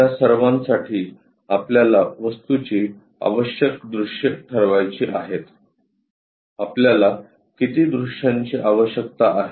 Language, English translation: Marathi, For that first of all we have to decide the necessary views of the object, how many views we might be requiring